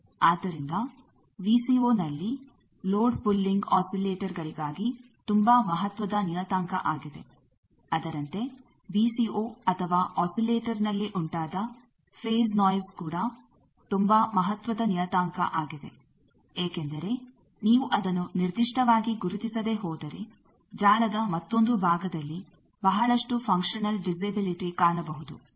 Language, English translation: Kannada, So, load pulling in VCO is a very important parameter for oscillators, similarly in the VCO or oscillators there is a phase noise created that is also a very important parameter because if you do not characterize that properly lot of functional disability come for other parts of the network